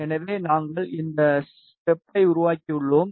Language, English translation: Tamil, So, we have created this step